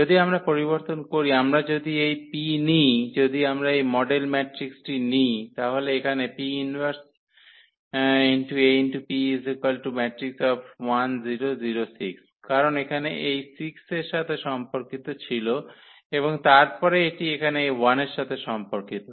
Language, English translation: Bengali, If we change, if we take this P, if we take this model matrix then here P inverse AP when we compute, this will be 6 0 and 0 1, because here this was corresponding to this 6 and then this is corresponding to this number 1 here